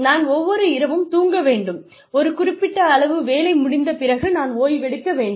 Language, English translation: Tamil, I need to sleep every night, I need to rest, after a certain amount of work is done